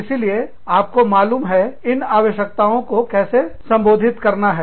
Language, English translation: Hindi, So, you know, how do you address, those needs